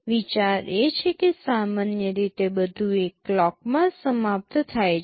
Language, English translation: Gujarati, The idea is that normally everything finishes in one clock